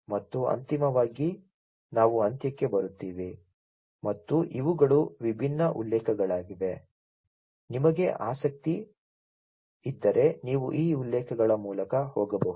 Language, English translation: Kannada, And finally, we come to an end and these are the different references; you know if you are interested you could go through these references